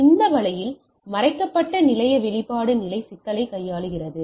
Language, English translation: Tamil, So, this way it handles the problem of this hidden station expose station problem